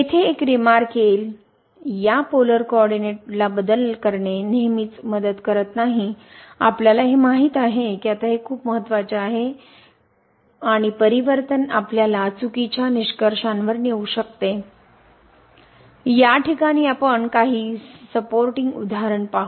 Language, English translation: Marathi, The next remark that changing to this polar coordinate does not always helps, you know this is very important now that it does not always help and the transformation may tempt us to false conclusion we will see some supporting example in this case